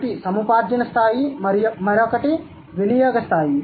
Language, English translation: Telugu, One is the acquisition level, the other one is the use level